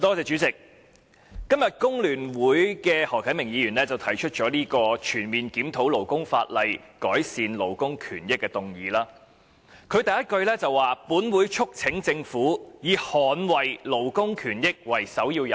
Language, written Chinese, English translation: Cantonese, 主席，工聯會的何啟明議員今天動議了這項"全面檢討勞工法例，改善勞工權益"的議案，當中首句的內容便是"本會促請政府以捍衞勞工權益為首要任務"。, President today Mr HO Kai - ming of FTU has proposed this motion on Conducting a comprehensive review of labour legislation to improve labour rights and interests and the first line of it says That this Council urges the Government to make safeguarding labour rights and interests its priority task